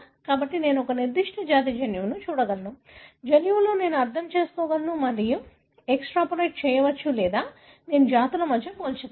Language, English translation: Telugu, So, I can look into the genome of a particular species; within the genome I can understand and extrapolate or I can compare between species